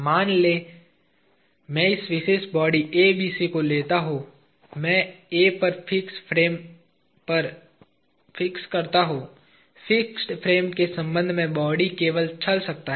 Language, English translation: Hindi, Supposing, I take this particular body ABC and I fix at A to the fixed frame, with respect to the fixed frame the body can only move